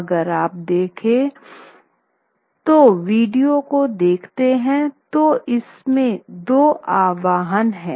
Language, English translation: Hindi, Now if you look at the if you look at the video you find there are two invocations